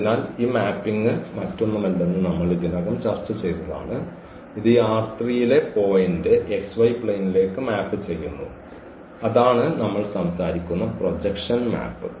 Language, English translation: Malayalam, So, the image as we discussed already that this mapping is nothing but it maps the point in this R 3 to the to the x y plane and that that is exactly the projection map we are talking about